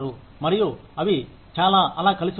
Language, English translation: Telugu, And, lot of them, will get together